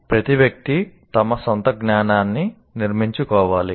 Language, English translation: Telugu, You, each individual will have to construct his own knowledge